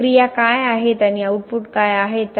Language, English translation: Marathi, What are the processes and what are the outputs